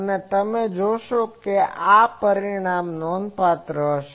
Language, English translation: Gujarati, And you will see that this result will be remarkable